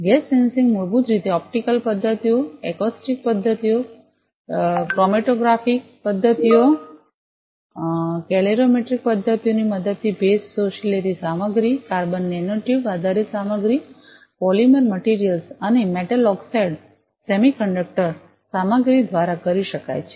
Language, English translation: Gujarati, Gas sensing basically can be done with the help of optical methods, acoustic methods, chromatographic methods, calorimetric methods, can be done with moisture absorbing materials, carbon nanotube based materials, polymer materials, and metal oxide semiconductor materials